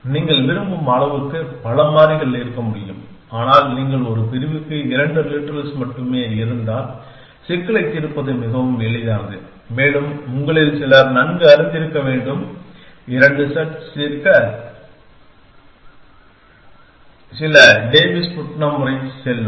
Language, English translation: Tamil, You can have as many variables as you want, but, if there only two literals per clause then the problem is actually quite easy to solve and some of you must be knowing there well known will go some Davis Putnam method for solving two sat